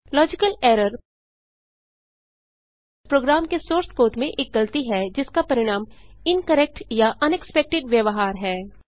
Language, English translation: Hindi, Logical error is a mistake in a programs source code that results in incorrect or unexpected behavior